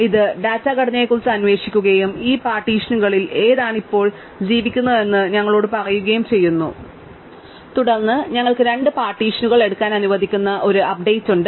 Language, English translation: Malayalam, It just queries the data structure and tells us in which of these partitions does s currently lie, and then we have an update which allows us to take two partitions, right